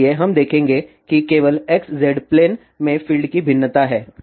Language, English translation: Hindi, So, we will see the variation of field in XZ plane only